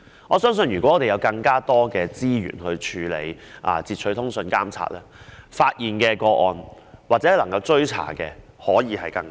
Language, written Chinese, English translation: Cantonese, 我相信，若有更多資源處理截取通訊監察，能夠發現或追查的個案會更多。, I believe if more resources are available for handling the interception of communications and surveillance more cases can be identified or traced